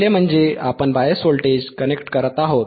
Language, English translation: Marathi, The first is, we are connecting the bias voltage